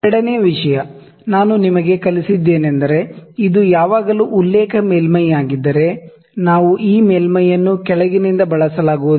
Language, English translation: Kannada, Second thing I have taught you I have always said that, if this is the reference surface, we need we cannot use this surface from the bottom